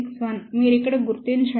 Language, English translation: Telugu, 261, you locate over here